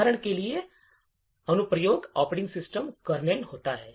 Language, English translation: Hindi, Example, is the application happens to be the operating system kernel